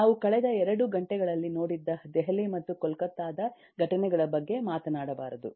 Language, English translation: Kannada, lets not talk about incidents in delhi and kolkatta that we have seen in last couple of hours